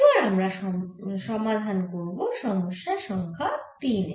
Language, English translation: Bengali, so now we are going to solve a problem, number three